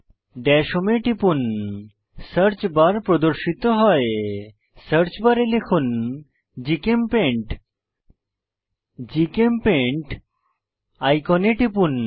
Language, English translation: Bengali, Click on Dash home Search bar appearsIn the Search bar type GChemPaint Click on the GChemPaint icon